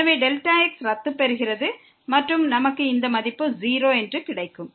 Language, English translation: Tamil, So, delta gets cancel and we will get this value as 0